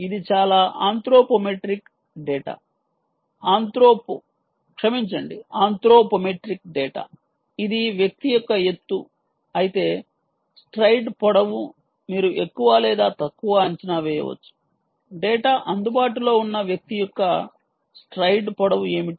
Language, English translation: Telugu, ah, ok, this is lot of anthropometric data, anthropo sorry, anthropo anthropometric data which says if this is the height of the individual, the stride length, um, is sort of, you can more or less guess what is the stride length of the individual